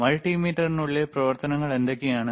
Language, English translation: Malayalam, What are the functions within the multimeter